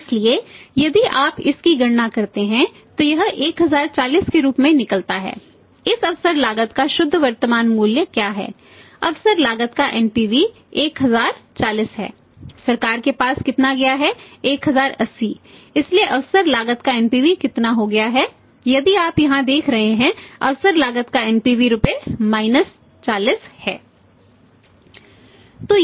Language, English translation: Hindi, So, if you calculate this then this works out as 1040 what is the net present value of this opportunity cost NPV of net present value of opportunity cost is that is 1040